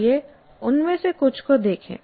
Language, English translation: Hindi, Let us look at some of them